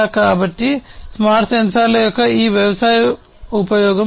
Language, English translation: Telugu, So, this is this agricultural use of smart sensors